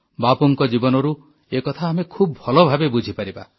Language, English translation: Odia, We can understand this from Bapu's life